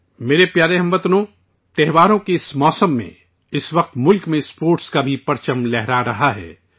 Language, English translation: Urdu, My dear countrymen, during this festive season, at this time in the country, the flag of sports is also flying high